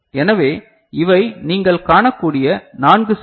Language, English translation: Tamil, So, these are the four cells that you can see